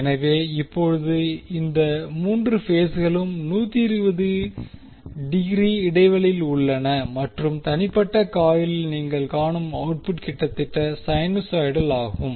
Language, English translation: Tamil, So, now, all these 3 phases are 120 degree apart and the output which you will see in the individual coil is almost sinusoidal